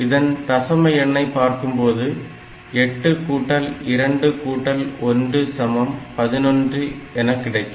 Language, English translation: Tamil, In the decimal number system these value is 11, 8 plus 2 plus 1